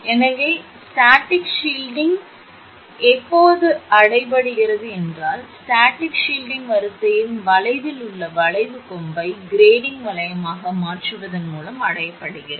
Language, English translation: Tamil, So, static shielding is achieved static shielding is achieved by changing the arcing horn at the line end to a grading ring